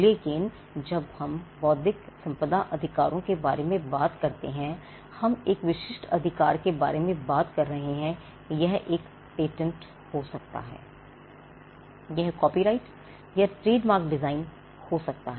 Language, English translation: Hindi, But when we talk about intellectual property rights we are talking about a specific right be it a patent be it copyright trademark design there are a list of light which are granted protection